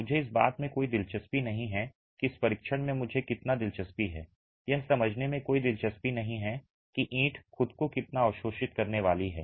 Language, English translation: Hindi, I'm not interested how much the, in this test I'm not interested in understanding how much the brick itself is going to absorb